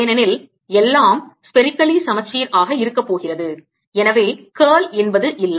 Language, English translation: Tamil, since everything is going to be spherically symmetric, there is no curl